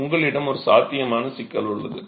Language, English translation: Tamil, So, you actually have a potential problem on hand